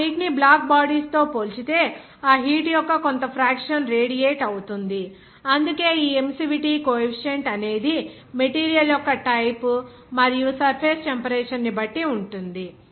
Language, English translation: Telugu, There will be certain fraction of that heat will be radiated compared to that ideal black bodies, that is why this emissivity coefficient depending on the type of material and the temperature of the surface